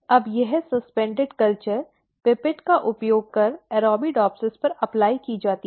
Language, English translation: Hindi, Now, that the suspended culture is then applied on the Arabidopsis using the pipette